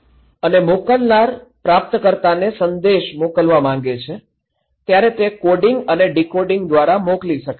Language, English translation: Gujarati, And sender wants to send message to the receiver right, so it can be sent through coding and decoding